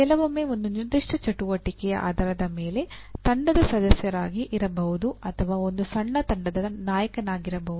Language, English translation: Kannada, To that extent sometimes depending on a particular activity you are a member of a team or sometimes you are a leader of a small team